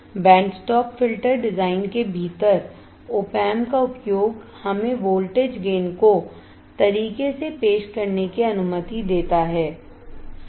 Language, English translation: Hindi, The use of operational amplifier within the band stop filter design, also allows us to introduce voltage gain right